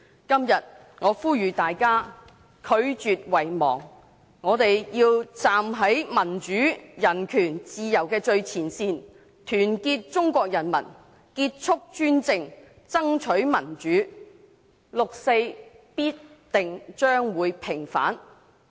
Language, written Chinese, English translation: Cantonese, 今天，我呼籲大家拒絕遺忘，我們要站在民主、人權和自由的最前線，團結中國人民，結束一黨專政，爭取民主，六四必將平反。, Today I call on Members to refuse to forget . We should stand at the forefront of democracy human rights and freedom unite the people of China end one - party dictatorship and strive for democracy and the 4 June incident will definitely be vindicated